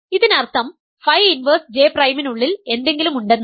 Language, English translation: Malayalam, So, in other words phi inverse J prime does belong to A